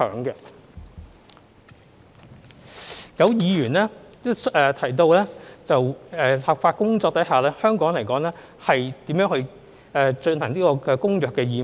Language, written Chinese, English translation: Cantonese, 有議員提及在立法工作前，香港如何履行《公約》的義務。, Some Members asked how Hong Kong would fulfil its obligations under the Convention prior to the commencement of the legislative exercise